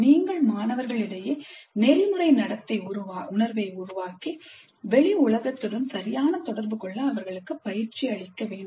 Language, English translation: Tamil, You must create that sense of ethical behavior in the students and train them in proper interaction with the outside world